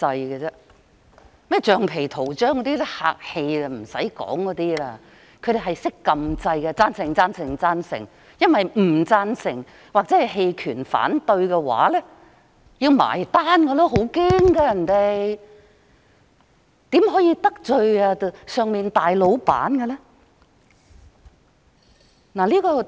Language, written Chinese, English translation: Cantonese, 稱他們為"橡皮圖章"，只是客氣的說法，他們只懂按下"贊成"按鈕，贊成、贊成、贊成，因為投"反對"或"棄權"的話，他們擔心會被算帳，很害怕，大老闆不可以得罪。, Calling these people rubber stamps is just being polite; for all they know is to press the Yes button all the time . They dare not press the No button or the Abstain button for they are worried that they will be punished . They are very afraid of upsetting the big boss